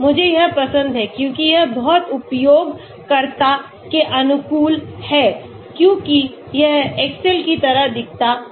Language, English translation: Hindi, I like it because it is very user friendly because it looks like excel